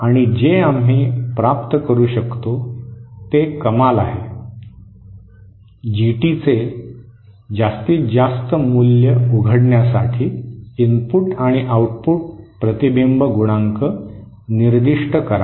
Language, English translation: Marathi, And what we can obtain is the maximum, specify the input and output reflection coefficients for opening the maximum value of GT